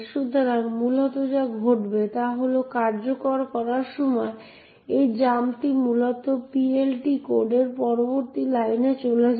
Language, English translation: Bengali, So, essentially what happens is that during the execution this jump essentially jumps to the next line in the PLT code